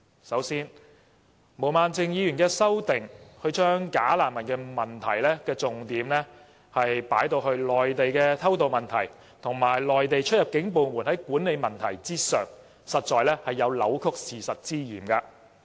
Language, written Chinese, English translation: Cantonese, 首先，毛孟靜議員的修正案將"假難民"的問題重點放在內地的偷渡問題，以及內地出入境部門的管理問題上，實在有扭曲事實之嫌。, First of all Ms Claudia MOs amendment puts the focus on illegal entrants from the Mainland and the border control problem of the exit and entry control departments in the Mainland . In fact her amendment has distorted the truth